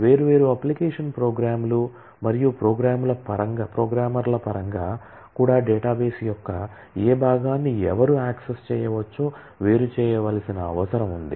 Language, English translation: Telugu, And also in terms of different application programs and programmers there is a need to separate out who can access which part of the database